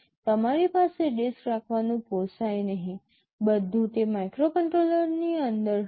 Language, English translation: Gujarati, You cannot afford to have a disk, everything will be inside that microcontroller itself